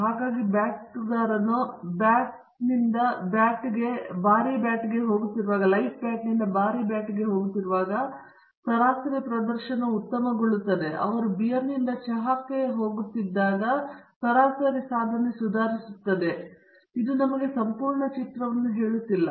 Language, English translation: Kannada, So, it might appear when a batsman is going from a light bat to heavy bat, the average performance improves, and when he is going from beer to tea the average performance improves, but this just not tell us the complete picture